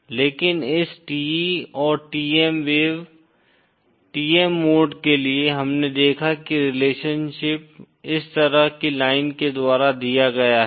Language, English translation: Hindi, But for this TE and TM wave, TM modes, we saw that the relationship is given by this kind of a line